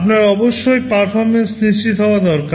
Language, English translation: Bengali, You need to ensure that performance is assured